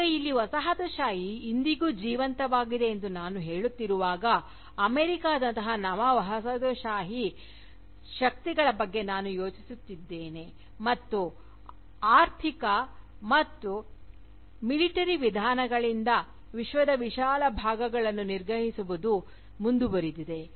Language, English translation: Kannada, Now, here, when I am saying that, Colonialism is still alive today, I am thinking of Neo colonial powers like America for instance, which continue to subjugate vast parts of the world, by economic, as well as military means